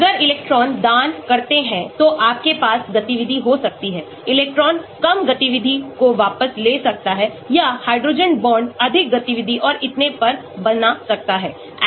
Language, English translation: Hindi, If electron donating, you may have activity, electron withdrawing less activity or hydrogen bond forming more activity and so on